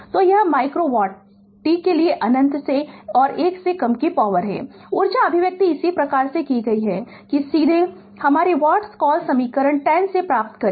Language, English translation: Hindi, So, this is micro watt for t greater than 1 less than infinity this is the power, the energy expression as follows that directly we get from your what you call equation 10 right